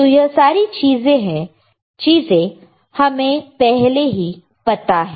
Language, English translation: Hindi, So, we know this things right